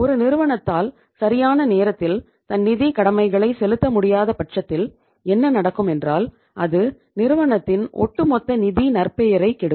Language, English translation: Tamil, If they are not able to pay its obligations on time then what will happen that it will spoil the overall financial reputation of the firm